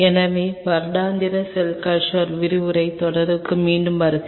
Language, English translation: Tamil, So, welcome back to the lecture series in annual cell culture